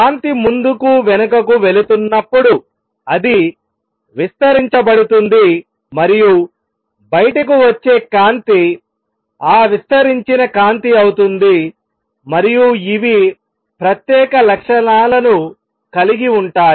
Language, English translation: Telugu, Then as light goes back and forth it is going to be amplified and the light which comes out is going to be that amplified light and these have special properties